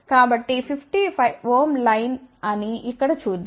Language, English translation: Telugu, So, let us see here this is a 50 ohm line